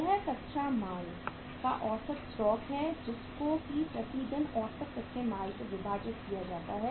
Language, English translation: Hindi, That is the average stock of raw material and divided by the average raw material committed per day